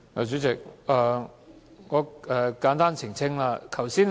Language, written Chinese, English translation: Cantonese, 主席，我簡單作出澄清。, President I will give a brief elucidation